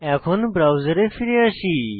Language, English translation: Bengali, Now, come back to the browser